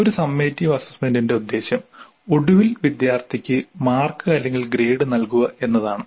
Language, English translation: Malayalam, The purpose of a summative assessment is to finally give mark or a grade to the student